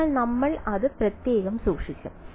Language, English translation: Malayalam, So, we will just keep it separate